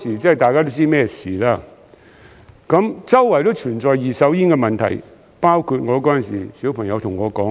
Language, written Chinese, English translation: Cantonese, 當時大家都知道是甚麼事，周圍都存在二手煙的問題，包括當時我的小朋友對我說那些。, Everyone knew what it meant at the time . The problem of second - hand smoke was everywhere just like what my child said to me